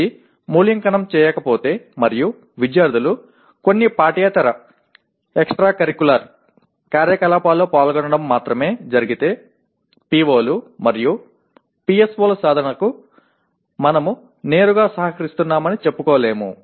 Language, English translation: Telugu, If it is not evaluated and only students participate in some extracurricular activities that we cannot claim to be directly contributing to the attainment of POs and PSOs